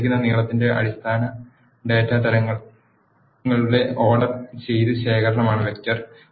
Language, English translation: Malayalam, Vector is an ordered collection of basic data types of a given length